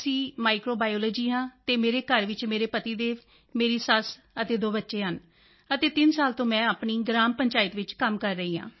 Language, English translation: Punjabi, Sir, I am MSC Microbiology and at home I have my husband, my motherinlaw and my two children and I have been working in my Gram Panchayat for three years